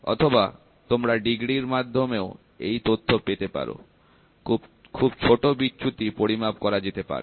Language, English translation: Bengali, Or you try to talk in terms of degrees it is possible, very very small deviations can be measured